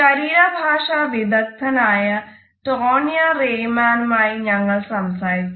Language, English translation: Malayalam, We spoke to the body language expert Tonya Reiman